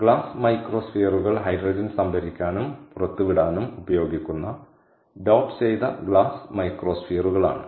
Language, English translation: Malayalam, so, glass microspheres: ok, these are doped glass microspheres which are used to store and release hydrogen